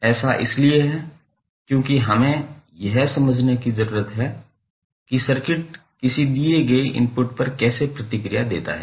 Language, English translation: Hindi, Because we want to understand how does it responds to a given input